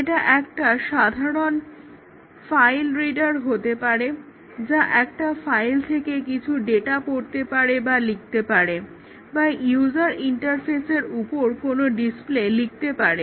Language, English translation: Bengali, It may be a simple file reader which read some data from a file or write some data to a file or write display something on the user interface